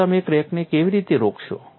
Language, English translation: Gujarati, So, how do you stop the crack